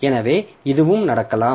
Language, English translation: Tamil, So, this is required